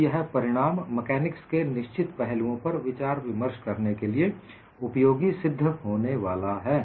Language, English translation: Hindi, So, this result is going to be quite useful for discussing certain aspects of fracture mechanics